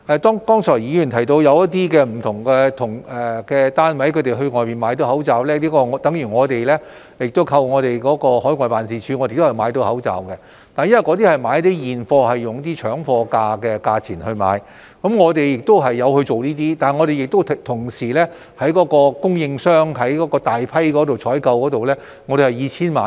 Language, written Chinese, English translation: Cantonese, 剛才議員提到不同的單位成功在外面購買口罩，這與我們海外辦事處的同事幫忙購買口罩的情況相同，他們以搶貨價購買現貨，我們亦有這樣做，但我們同時會向供應商大批採購，訂購數目以千萬計。, Their success is attributed to buying face masks in stock at very competitive prices . Colleagues of overseas offices have adopted similar practices in helping our procurement of face masks . Yet we will at the same time place bulk purchase orders of several ten million face masks